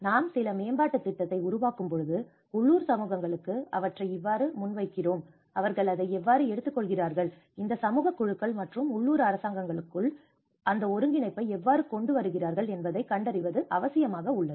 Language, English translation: Tamil, When you make certain development scheme, how you present to the local communities, how they take it, how you bring that coordination within these community groups and the local governments